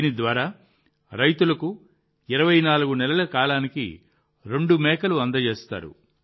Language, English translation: Telugu, Through this, farmers are given two goats for 24 months